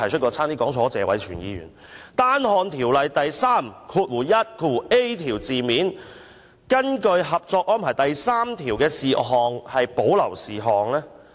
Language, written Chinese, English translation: Cantonese, 關於《條例草案》第 31a 條，根據《合作安排》第三條訂明的事項，即屬保留事項。, With regard to clause 31a of the Bill reserved matters are matters specified in Article 3 of the Co - operation Arrangement